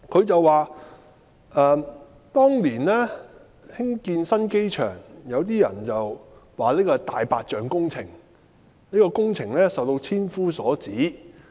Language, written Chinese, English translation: Cantonese, 他說當年興建新機場，有些人說這是"大白象"工程，工程受到千夫所指。, He said that when the new airport project was proposed it faced a thousand accusing fingers and some even said it was a white elephant project